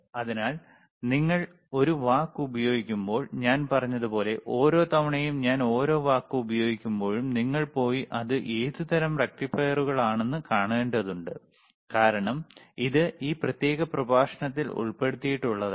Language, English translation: Malayalam, So, when I use a word, like I said, every time when I am im pressing it very heavy on and each word, you have to go and you have to see what are kinds of rectifiers;, Bbecause it may not be covered in this particular lecture